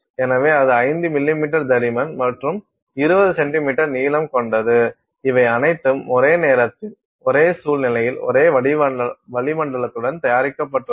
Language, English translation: Tamil, So, that is 5 millimeter thick and 20 centimeters long, all of which have been prepared at the same time under the same conditions with the same atmosphere and so on